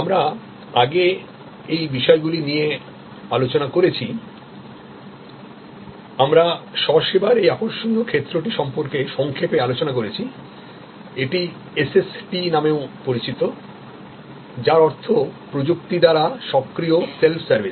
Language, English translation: Bengali, Now, these things we have discussed before, we did briefly discuss about this interesting area of self service, also known as SST that means Self Service enabled by Technology